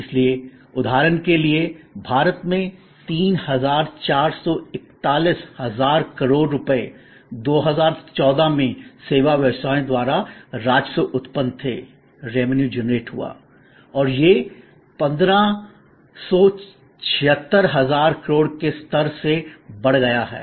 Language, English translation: Hindi, So, so much to say that in India for example, 3441 thousand crores of rupees were the revenue generated by service businesses in 2014 and this has grown from the level of 1576 thousand crores and if you go in millions you know 10 billion, so it is a crore